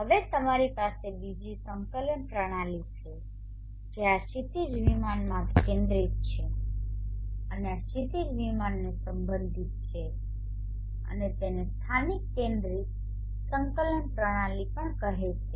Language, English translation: Gujarati, Now you have another coordinate system which is focused in this horizon plane and related to this horizon plane and is called the local centric coordinate system